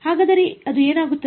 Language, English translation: Kannada, So, what does it do